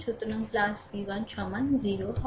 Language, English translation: Bengali, So, plus v 1 is equal 0 right